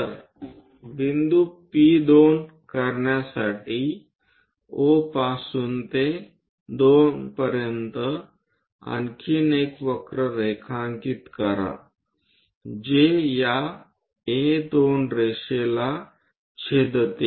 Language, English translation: Marathi, So, from O to 2 draw one more curve to make a point P2 which intersects this A2 line